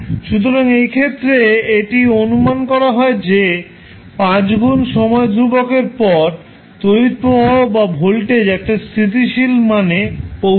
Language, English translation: Bengali, So, that is the approximation we take that after 5 time constants the value of current in this case or voltage in this case will settle down to a steady state value